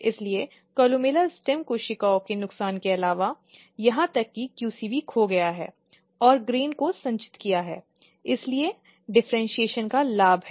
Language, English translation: Hindi, So, apart from the columella loss of columella stem cells, even QC has lost has accumulated the grain, so there is a gain of differentiation